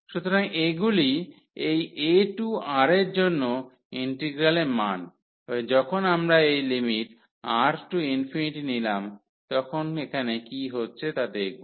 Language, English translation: Bengali, So, these are the integrals integral value for this a to R and now we will see here what will happen to when we take this R to infinity